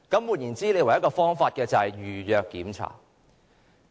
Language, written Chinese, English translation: Cantonese, 換言之，唯一的方法是預約巡查。, In other words the only possible way is an inspection by appointment